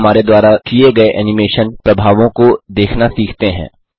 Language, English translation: Hindi, Let us now learn to view the animation effects we have made